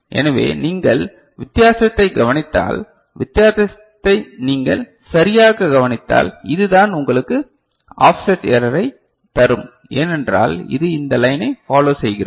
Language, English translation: Tamil, So, if you just note the difference, if you just note the difference ok, so this is what will give you the offset error right, because this is following this line right